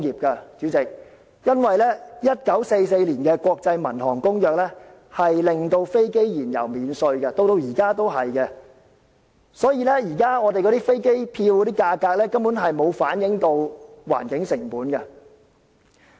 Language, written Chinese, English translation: Cantonese, 由於1944年的《國際民用航空公約》讓飛機燃油免稅，直至現時也是如此，所以今天的機票價格，根本便沒有反映出環境成本。, Under the Convention on International Civil Aviation a fuel tax exemption was granted in 1944 and it remains valid till this very day . Hence the price of plane tickets nowadays cannot reflect the magnitude of its environmental cost